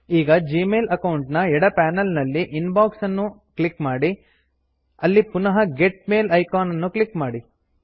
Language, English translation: Kannada, Now, from the left panel, under the Gmail account, click Inbox.Click the Get Mail icon